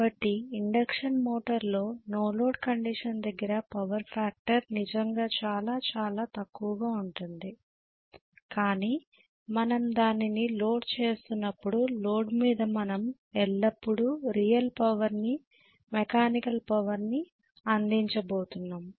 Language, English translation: Telugu, So no load condition power factor is really really bad in an induction motor but as we load it, so on load we are going to always deliver a real power, mechanical power